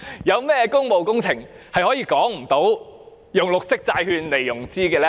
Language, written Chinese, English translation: Cantonese, 有甚麼工務工程是沒有理據採用綠色債券來融資呢？, What public works cannot justify the use of green bonds for financing?